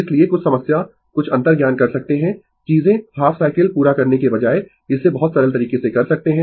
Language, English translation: Hindi, So, some problem some intuition you can do it things you can do it in very simple way rather than completing the half cycle